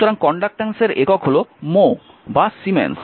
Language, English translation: Bengali, So, the unit of conductance is mho or siemens